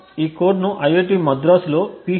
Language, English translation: Telugu, student at IIT Madras